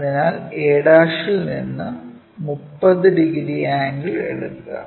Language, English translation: Malayalam, So, take 30 degree angle from a'